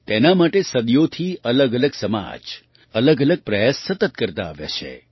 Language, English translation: Gujarati, For this, different societies have madevarious efforts continuously for centuries